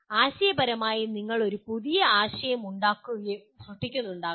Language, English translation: Malayalam, Conceptualize, you may be creating a new concept